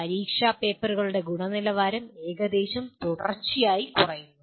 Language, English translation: Malayalam, The quality of the exam papers have been more or less continuously coming down